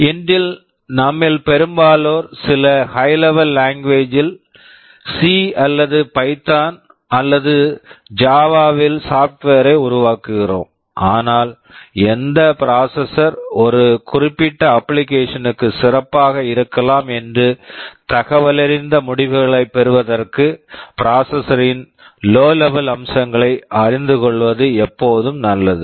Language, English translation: Tamil, Today most of us develop the software in some high level language, either in C or in Python or in Java, but it is always good to know the lower level features of the processor in order to have an informed decision that which processor may be better for a particular application